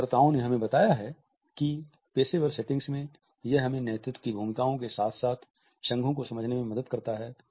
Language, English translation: Hindi, Researchers tell us that in professional settings it helps us to understand the associations as well as leadership roles